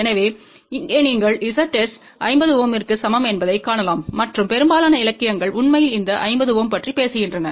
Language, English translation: Tamil, So, here you can see Z s is equal to 50 ohm and most of the literature actually talks about this 50 ohm